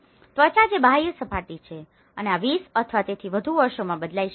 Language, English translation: Gujarati, The skin which is the exterior surfaces and these may change over 20 years or so